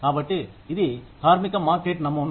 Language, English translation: Telugu, So, this is the labor market model